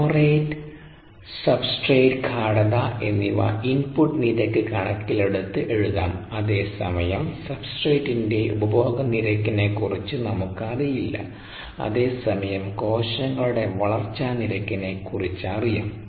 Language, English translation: Malayalam, this is the flow rate and the substrate concentration of the outlet, whereas here we don't really have a handle on the growth rate, on the consumption rate of the substrate, whereas we have a handle on the growth rate of cells